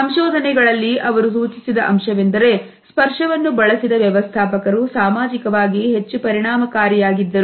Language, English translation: Kannada, In the findings they had suggested that managers who used touch is a strategy, more frequently were more socially effective